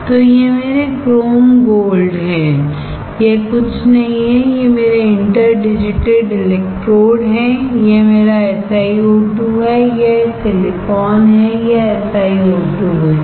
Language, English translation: Hindi, So, these are my chrome gold, these are nothing my interdigitated electrodes, this is my SiO2, this is silicon, this is SiO2